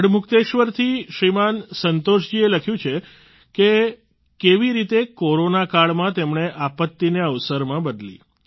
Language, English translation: Gujarati, Shriman Santosh Ji from Garhmukteshwar, has written how during the Corona outbreak he turned adversity into opportunity